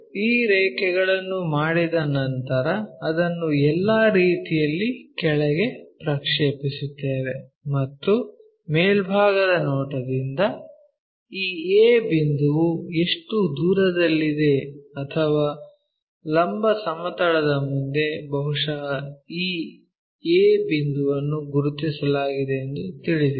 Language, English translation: Kannada, Once these lines are done, we project it down all the way, project it all the way down and from top view we know how far this A point is or perhaps in front of vertical plane where exactly this a point located we locate a point, similarly we locate that b point